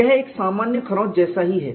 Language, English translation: Hindi, It is as good as a simple scratch